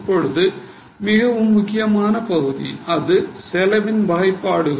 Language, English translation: Tamil, Now, very important part that is cost classification